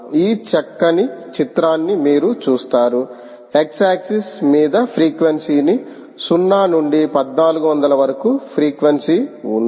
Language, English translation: Telugu, you see this nice picture here: ah, on the x axis is the frequency: ok, zero, two thousand four hundred